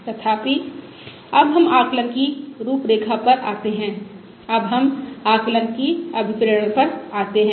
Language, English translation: Hindi, However, now we come to the framework of Estimation, now we come to the motivation for estimation